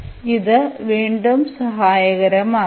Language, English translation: Malayalam, So, this will be again helpful